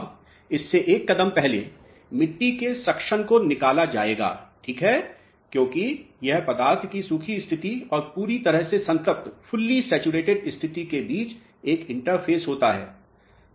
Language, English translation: Hindi, Now, one step ahead of this would be to determine the soil suction alright because this happens to be an interface between the dry state and the fully saturated state of the material